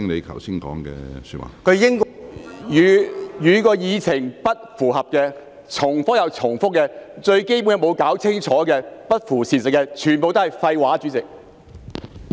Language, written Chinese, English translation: Cantonese, 他的發言與議題不符，而且不斷重複，連最基本的議題亦沒有弄清楚，與事實不符，全部都是廢話，主席。, His speech was not related to the subject and he kept making repetition . He even failed to get a clear idea of the most fundamental issue and his speech was factually incorrect . All was nonsense President